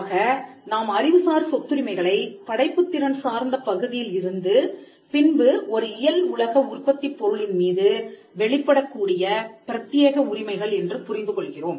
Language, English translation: Tamil, So, we understand intellectual property rights as exclusive rights in the creative content, then manifests in a physical product